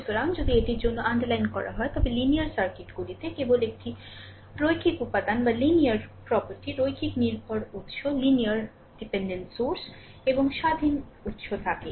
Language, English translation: Bengali, So, if you if I underline it for you so, a linear circuits consists only a linear elements, linear dependent sources and independent sources